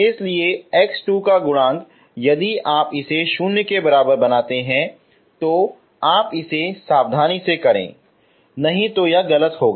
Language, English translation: Hindi, So coefficient of x square if you make it equal to 0 if you do it meticulously it should not go wrong